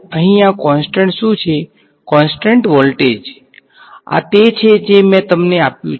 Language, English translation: Gujarati, This constant thing over here, constant voltage that is this is what I have given you